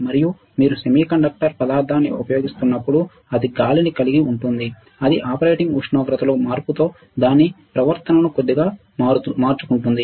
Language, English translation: Telugu, And when you are using semiconductor material it has air it will change, it will slightly change its behavior with change in the operating temperature